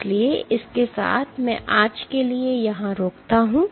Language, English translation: Hindi, So, with that I stop here for today